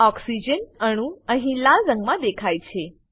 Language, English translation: Gujarati, Oxygen atom is seen in red color here